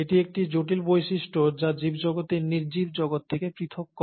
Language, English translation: Bengali, Now this is one critical feature which sets the living world separate from the non living world